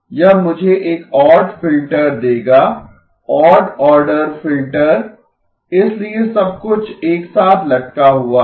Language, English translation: Hindi, It will give me an odd filter, odd order filter, so everything hangs together